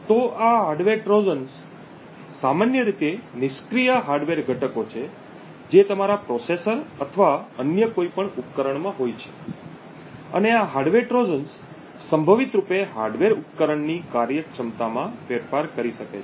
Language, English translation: Gujarati, So, these hardware Trojans are typically passive hardware components present in your processor or any other device and these hardware Trojans can potentially alter the functionality of the hardware device